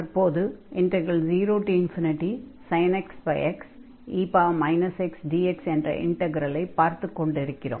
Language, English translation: Tamil, So, the integral 0 to infinity sin x over x dx converges